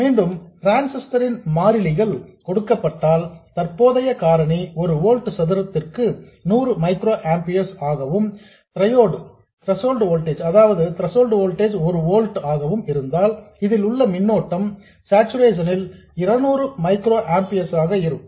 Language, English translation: Tamil, Again, given the constants of the transistor, the current factor being 100 microamper per volt square and the threshold voltage being 1 volt, the current in this if it is in saturation would be 200 microampiers